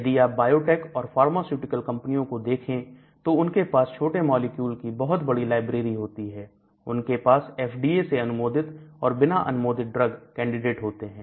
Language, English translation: Hindi, So, if you take biotech and pharmaceutical companies they will have large small molecule libraries, they will have FDA approved drugs, non fd